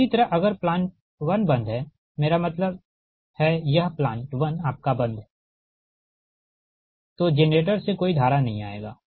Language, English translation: Hindi, as soon as plant one is off right, that means no current will come from generator